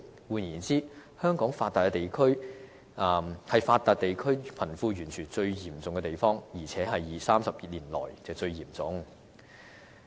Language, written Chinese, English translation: Cantonese, 換言之，香港是發達地區貧富懸殊最嚴重的地方，而且是30年來最嚴重的。, In other words Hong Kong has the most serious disparity in wealth distribution among the advanced regions and the situation is the worst in 30 years